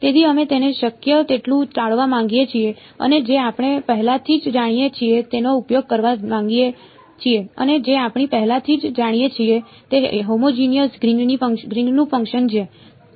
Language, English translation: Gujarati, So, we want to avoid that as much as possible and use what we already know and what we already know is a homogeneous Green’s function